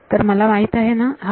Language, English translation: Marathi, So, I know this